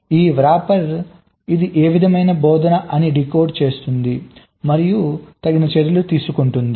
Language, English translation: Telugu, this rapper is decoding what kind of instruction it is and it is taking appropriate actions